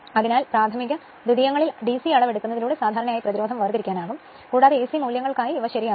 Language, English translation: Malayalam, So, generally resistance could be separated out by making DC measurement on the primary and secondary and duly you are correcting these for AC values